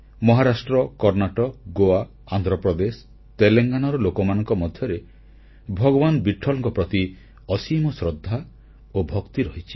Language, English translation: Odia, People from Maharashtra, Karnataka, Goa, Andhra Pradesh, Telengana have deep devotion and respect for Vitthal